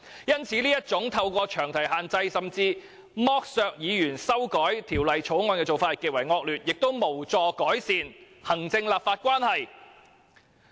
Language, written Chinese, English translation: Cantonese, 因此，這種透過詳題限制甚至剝削議員修改法案的做法極為惡劣，亦無助改善行政立法關係。, Hence the practice of using the long title to restrict or even deprive the right of Members to amend a bill is really despicable and will not help improve the relationship between the executive and the legislature